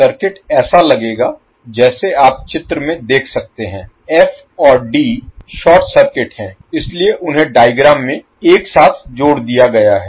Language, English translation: Hindi, The circuit will look like now as you can see in the figure f and d are short circuited so they are clubbed together in the particular figure